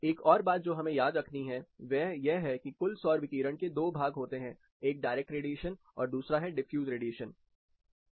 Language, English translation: Hindi, One more thing we have to remember is this total solar radiation has two components, one is a direct radiation and other is a diffuse radiation